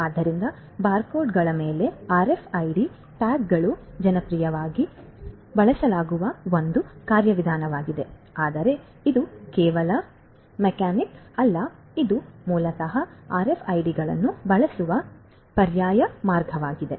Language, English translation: Kannada, So, RFID tags over barcodes is a mechanism that is popularly used, but is not the only mechanic this is an alternative way of basically using these RFIDs